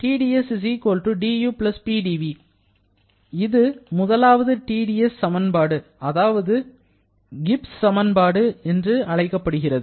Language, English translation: Tamil, This is called the first T dS equation or the Gibbs equation